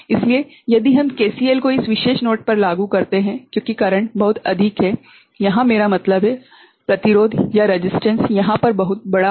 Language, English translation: Hindi, So, if we apply KCL at this particular node right since current is very large over here I mean, resistance is very large over here